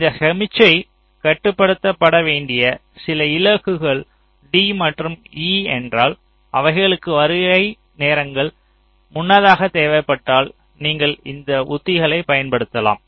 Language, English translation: Tamil, so if this d and e are some destinations where this signal has to be transmitted earlier they have earlier required arrival times then you can use these strategies